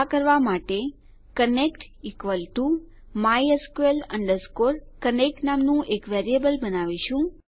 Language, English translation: Gujarati, To do this we create a variable called connect equal to mysql connect